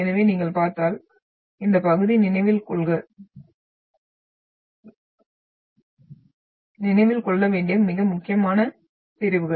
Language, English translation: Tamil, So if you look at, just refer to this part, this is an important sections which you should remember